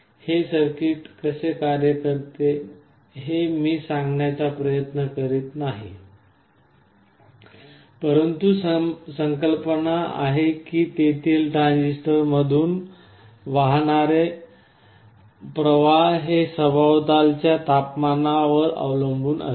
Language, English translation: Marathi, You see I am not trying to explain how this circuit works, but the idea is that the currents that are flowing through the transistors there is a strong dependence on the ambient temperature that is how the temperature sensing is done